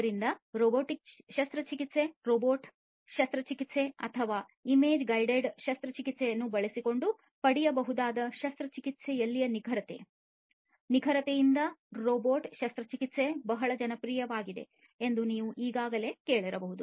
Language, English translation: Kannada, So, robotic surgery, you know, already probably you must have heard that robotic surgery is very popular because of the precision, precision in surgery that can be obtained using robotic surgery or image guided surgery, these are very precise and know